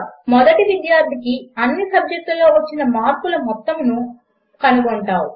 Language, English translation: Telugu, How do you find the sum of marks of all subjects for the first student